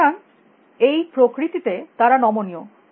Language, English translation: Bengali, So, they are flexible in that nature